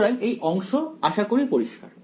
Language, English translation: Bengali, So, is this part is clear